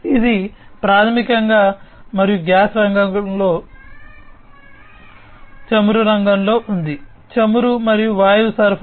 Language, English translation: Telugu, It is in the oil and gas sector, supply of oil and gas